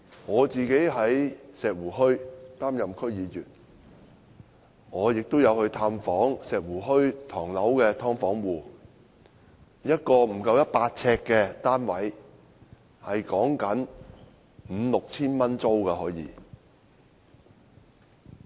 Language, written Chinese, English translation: Cantonese, 我在石湖墟擔任區議員，曾探訪石湖墟的"劏房"戶，一個不足百呎的單位，租金可達至 5,000 元至 6,000 元。, As a District Council member from Shek Wu Hui I visited residents of subdivided units in Shek Wu Hui and learnt that the rent of a unit less than 100 sq ft ranged from 5,000 to 6,000